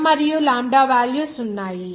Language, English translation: Telugu, The value of m and lambda are there